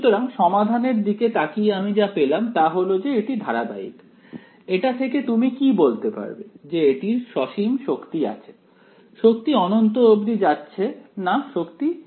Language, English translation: Bengali, So, looking at this looking at the solution that I have got over here you can see it is continuous can you say therefore, that it has finite energy in this way; there are no kinks running off to infinity finite energy right